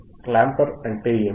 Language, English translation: Telugu, What is clamper